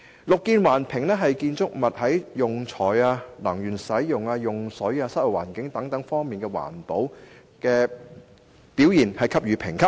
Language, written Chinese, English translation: Cantonese, "綠建環評"就建築物在用材、能源使用、用水、室內環境質素等方面給予不同評級。, Under BEAM Plus ratings will be accorded to a buildings performance in categories such as materials aspects energy use water use and indoor environmental quality